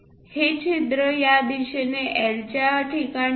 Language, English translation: Marathi, This hole is at a location of L in this direction